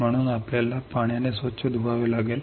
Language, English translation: Marathi, So, we have to rinse with water